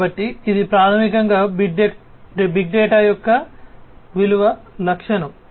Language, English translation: Telugu, So, this is basically the value attribute of big data